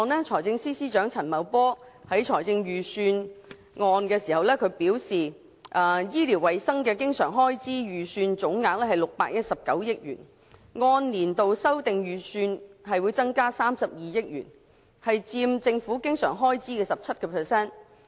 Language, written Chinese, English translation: Cantonese, 財政司司長亦在預算案表示，醫療衞生的經常開支預算總額為619億元，按年度修訂預算增加32億元，佔政府經常開支的 17%。, The Financial Secretary has also indicated in his Budget that the total recurrent expenditure on health care will be 61.9 billion representing an increase of 3.2 billion year - on - year based on revised estimates and accounting for 17 % of government recurrent expenditure